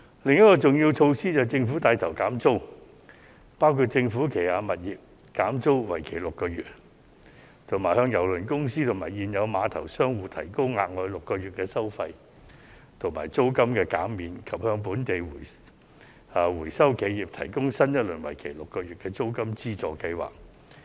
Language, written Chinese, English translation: Cantonese, 另一項重要措施是政府帶頭減免租金，包括政府旗下的物業減租為期6個月、向郵輪公司和現有碼頭商戶提供額外6個月的收費及租金減免，以及向本地回收企業提供新一輪為期6個月的租金資助計劃。, Another significant measure taken by the Government is its lead in cutting rents . This includes reducing rents for six months for eligible tenants of government properties offering another six months of fees and rental reduction for cruise lines and existing tenants of the Cruise Terminal and providing a new round of rental subsidy for six months to local recycling enterprises